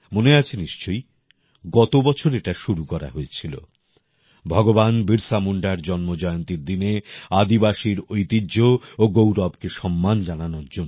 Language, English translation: Bengali, You will remember, the country started this last year to celebrate the tribal heritage and pride on the birth anniversary of Bhagwan Birsa Munda